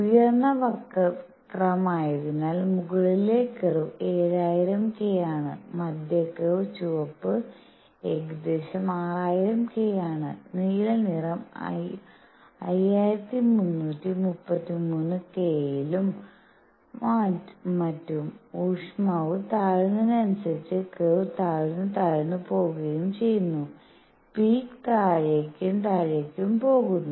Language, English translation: Malayalam, As the higher curve is the upper curve is at 7000 K; the middle curve red one is at roughly 6000 K; the blue one is at 5333 K and so on; as the temperature goes down the curve becomes lower and lower and the peak goes down and down